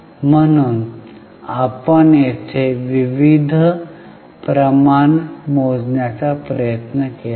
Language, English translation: Marathi, So, we have tried to variety of ratios there here